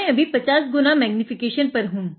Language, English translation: Hindi, I am going to 100 x magnification now